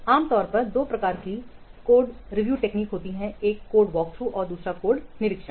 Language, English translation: Hindi, We will see two types of code review that is code work through and code inspection